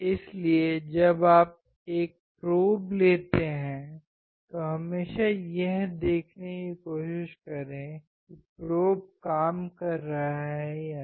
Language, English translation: Hindi, So, when you take a probe always try to see whether probe is working or not